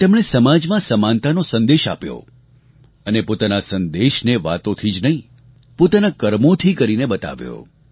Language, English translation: Gujarati, He advocated the message of equality in society, not through mere words but through concrete endeavour